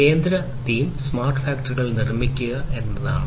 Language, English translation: Malayalam, 0 is basically building smart factories